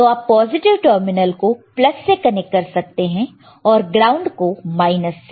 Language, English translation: Hindi, So, you can connect the positive terminal to plus ground to minus right, and then you have rows and columns